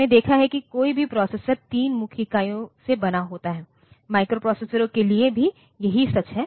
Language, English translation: Hindi, So, we have seen that any processor is made up of 3 main units; same is true for the microprocessors